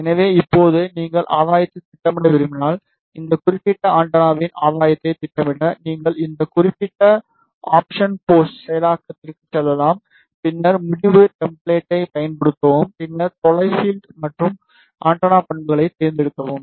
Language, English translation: Tamil, So, now, if you want to plot the gain, so to plot the gain of this particular antenna, you can go to this particular option post processing then use result template then select far field and antenna properties